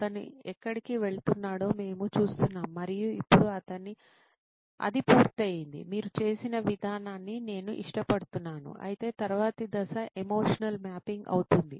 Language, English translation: Telugu, We are seeing where he’s going through that and now of course the, it is complete as is, I like the way you have done it, of course the next step would be emotional mapping